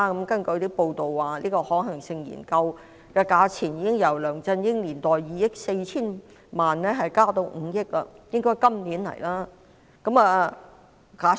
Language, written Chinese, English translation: Cantonese, 根據報道，可行性研究的費用已由梁振英年代的2億 4,000 萬元增至5億元，看來政府今年會提交申請。, According to media reports the cost of the feasibility study has increased from 240 million in the era of LEUNG Chun - ying to 500 million and it seems that the Government will submit an application this year